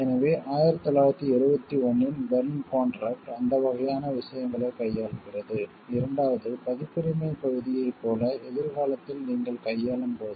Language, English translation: Tamil, So, the Berne contract of 1971 deals with those kind of things, the second when you try future dealing like the copyright part